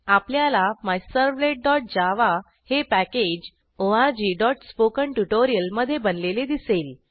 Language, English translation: Marathi, We see MyServlet.java is created in the package org.spokentutorial